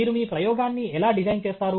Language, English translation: Telugu, How do you design your experiment